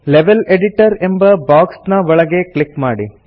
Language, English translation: Kannada, Click inside the Level Editor box